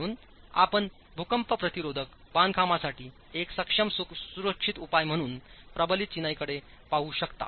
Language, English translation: Marathi, So, you can look at reinforced masonry as a viable, safe solution for earthquake resistant constructions